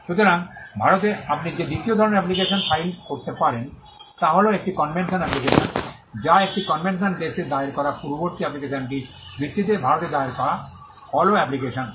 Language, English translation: Bengali, So, the second type of application that you can file in India is a convention application, which is nothing, but a follow application filed in India, based on an earlier application that was filed in a convention country